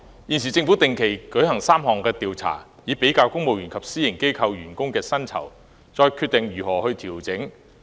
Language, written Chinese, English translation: Cantonese, 現時，政府定期進行3項調查，以比較公務員與私營機構員工的薪酬，然後再決定如何作出調整。, At present the Government conducts three regular surveys to compare the pay levels in the civil service with those in the private sector before deciding how the pay levels will be adjusted